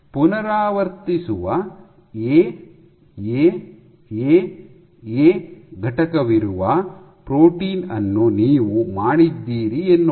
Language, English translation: Kannada, Let us see you have made a protein which has this unit repeating A A A A so on and so forth